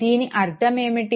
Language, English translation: Telugu, What would this mean